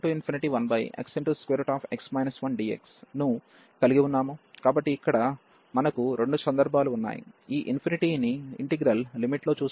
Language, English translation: Telugu, So, we have both the cases here, we do see this infinity in the limit of the integral